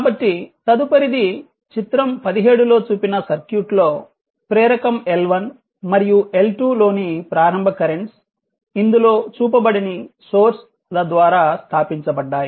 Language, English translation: Telugu, So, ok so next is your in the circuit shown in figure 17, the initial currents in inductor l 1 and l2 have been established by the sources not shown